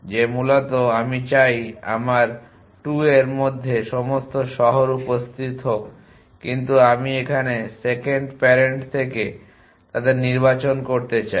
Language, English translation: Bengali, That basically I want all the cities to appear in my 2 out of this, but I want to select them from the second parent now